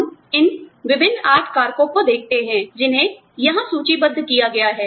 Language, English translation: Hindi, We look at these, different 8 factors, that have been listed here